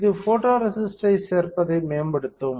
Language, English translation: Tamil, This will improve the addition of photoresist